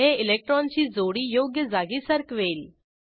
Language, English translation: Marathi, It moves the electron pair to the correct position